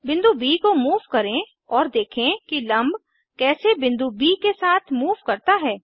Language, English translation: Hindi, Lets Move the point B, and see how the perpendicular line moves along with point B